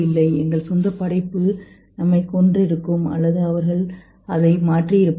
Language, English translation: Tamil, Our own creation would have either killed us or they would have replaced us